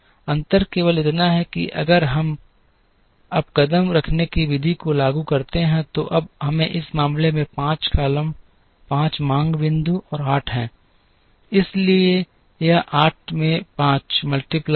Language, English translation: Hindi, The only difference is that, if we apply the stepping stone method now, now we have to in this case there are 5 columns 5 demand points and 8, so it is 8 into 5 40